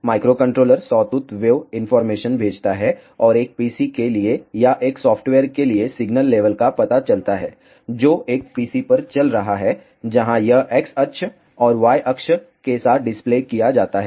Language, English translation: Hindi, The microcontroller sends the sawtooth waveform information and the detected signal level to a PC or to a software which is running on a PC, where it is displayed along the X axis and Y axis